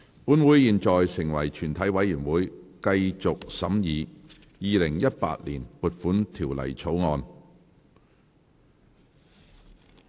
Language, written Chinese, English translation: Cantonese, 本會現在成為全體委員會，繼續審議《2018年撥款條例草案》。, Council now becomes committee of the whole Council to continue consideration of the Appropriation Bill 2018